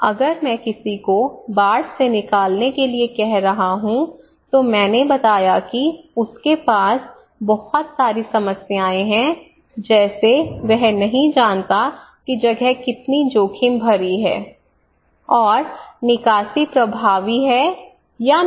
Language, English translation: Hindi, So here if I am asking someone to evacuate flood evacuations, I told that he has a lot of problems like is that difficult decisions because he does not know how risky the place is and evacuation is effective or not